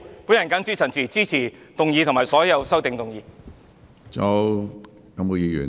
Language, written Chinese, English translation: Cantonese, 我謹此陳辭，支持議案及所有修正案。, With these remarks I support the motion and all amendments